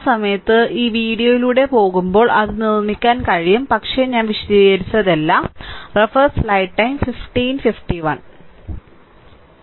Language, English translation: Malayalam, When you will go through this video at that time you can make it, but everything I have explained right